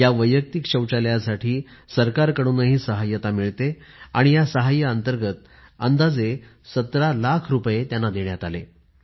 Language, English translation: Marathi, Now, to construct these household toilets, the government gives financial assistance, under which, they were provided a sum of 17 lakh rupees